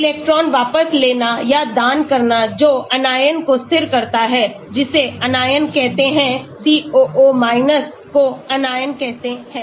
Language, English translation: Hindi, electron withdrawing or donating which stabilizes the anion that is called the anion, COO is called the anion